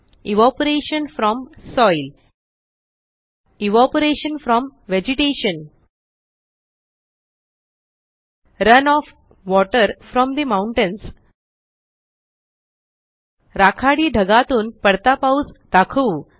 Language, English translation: Marathi, Evaporation from soil Evaporation from vegetation Run off water from the mountains Lets show rain falling from the grey clouds